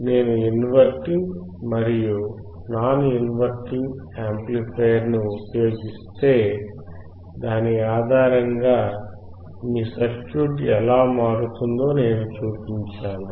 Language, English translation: Telugu, I have shown you that if you use inverting or non inverting amplifier, based on that your circuit would change